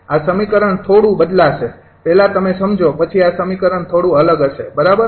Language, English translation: Gujarati, first you understand, then this equation will be slightly different